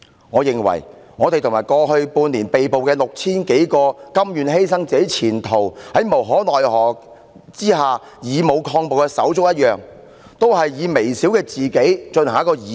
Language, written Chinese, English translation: Cantonese, 我認為，我們和在過去半年內被捕的 6,000 多位甘願犧牲自己前途、在無可奈何的情況下以武抗暴的手足一樣，寧可犧牲自己以成就義舉。, In my view we are no different from those 6 000 or more brothers and sisters who were arrested in the past six months prepared to sacrifice their own future and forced to resist violence with force as a last resort . We would rather sacrifice ourselves to strive for righteousness